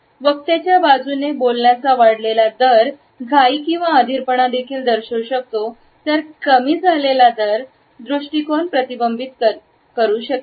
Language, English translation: Marathi, An increased rate of speech can also indicate a hurry or an impatience on the part of the speaker, whereas a decreased rate could also suggest a reflective attitude